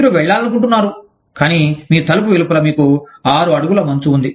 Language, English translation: Telugu, You want to go, but you have 6 feet of snow, outside your door